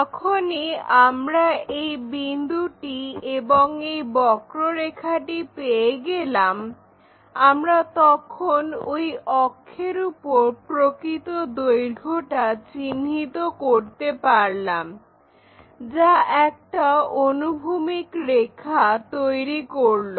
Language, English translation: Bengali, Once, we have that point, we have that curve again we locate a true length on that axis, which makes a horizontal line